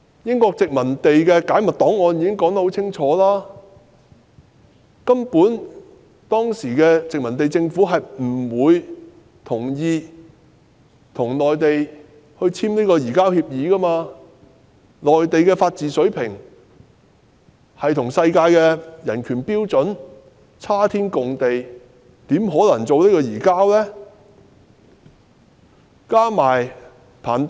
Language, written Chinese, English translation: Cantonese, 英國的解密檔案清楚指出，當時的殖民地政府根本不同意與內地簽署移交逃犯協議，因為內地的法治水平與世界人權標準相去甚遠，因此根本不可能將逃犯移交內地。, As clearly pointed out in a declassified British document the colonial administration simply did not agree to enter into any agreements with the Mainland on the surrender of fugitive offenders because the legal standard on the Mainland lagged far behind the international human right standard . So it contented that surrendering fugitive offenders to the Mainland was out of the question